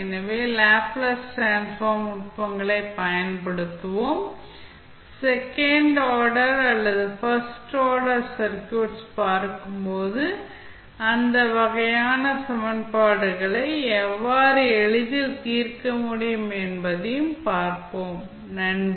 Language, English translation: Tamil, So, we will use the Laplace transform techniques and see how we can easily solve those kind of equations, when we see the second order or first order circuits, thank you